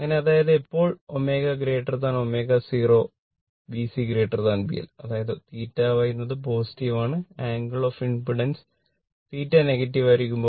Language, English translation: Malayalam, So; that means, at omega greater than omega 0 B C greater than B L that is theta Y that is positive right and angle of impedance theta will be negative